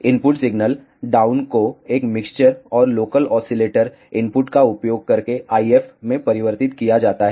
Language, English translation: Hindi, The input signal is down converted to an IF using a mixer and local oscillator input